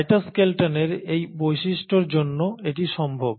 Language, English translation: Bengali, So this is possible because of this property of cytoskeleton